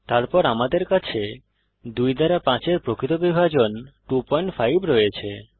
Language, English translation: Bengali, then we have the real division of 5 by 2 is 2.5